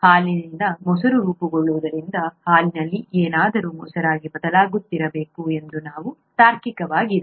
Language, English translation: Kannada, Since curd is forming from milk, something in the milk must be turning into curd, right, that’s very logical